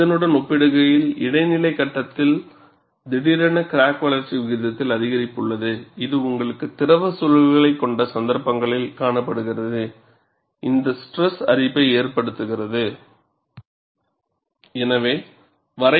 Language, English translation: Tamil, In comparison to this, there is a sudden increase in crack growth rate in the intermediate stage, which is seen in cases, where you have liquid environments, that causes stress corrosion